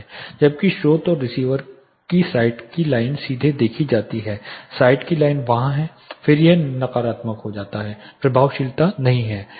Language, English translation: Hindi, Whereas, the line of site that is the source and receiver are directly seen, the line of site is there then is becomes negative the effectiveness is not there